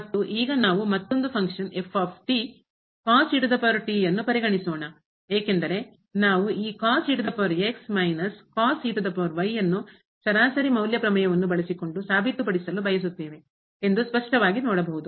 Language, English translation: Kannada, And, now we consider the ) another function power because clearly we can see that we want to prove this power minus power using mean value theorem